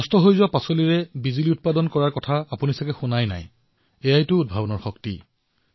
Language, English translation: Assamese, You may have hardly heard of generating electricity from waste vegetables this is the power of innovation